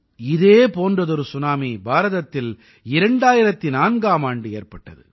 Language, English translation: Tamil, A similar tsunami had hit India in 2004